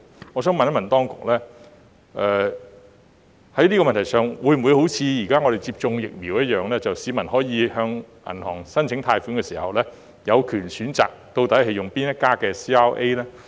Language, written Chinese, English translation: Cantonese, 我想問當局，是否可以像現時接種疫苗般，讓市民有權在向銀行申請貸款時，選擇使用哪一家 CRA？, I would like to ask the authorities Do members of the public have the right to choose the CRA they like when applying for bank loans as in the present case of choosing the vaccine to be administered?